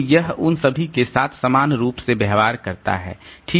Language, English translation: Hindi, So, it is treating all of them equally